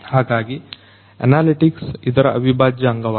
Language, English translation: Kannada, So, analytics is very very much integral to it